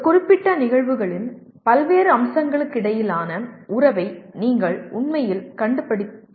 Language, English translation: Tamil, You are actually discovering the relationship between various facets of a particular phenomena